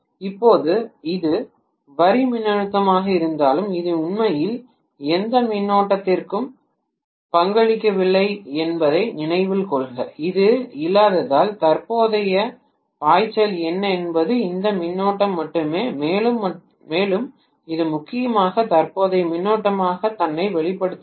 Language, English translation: Tamil, Whereas now it is line voltage, please note that this is not really contributing any current this is absent so what is the current flowing is only this current and that is essentially the phase current which is manifesting itself as the line current